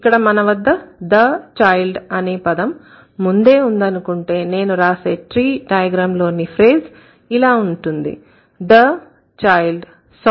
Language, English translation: Telugu, So, considering we already have the child, so the tree diagram that I am going to draw with this phrase is the child saw a cat